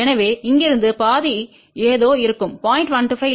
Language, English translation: Tamil, So, from here to here half will be something like 0